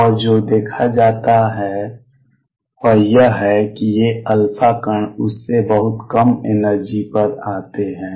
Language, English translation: Hindi, And what is seen is that these alpha particles come at energy much lower than that